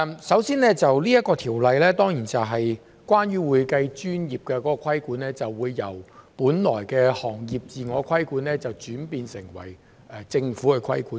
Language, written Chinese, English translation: Cantonese, 首先，《條例草案》是關於會計專業的規管，由本來的行業自我規管轉變成為政府規管。, First of all the Bill is about the regulation of the accounting profession which will be switched from the original industry self - regulation to government regulation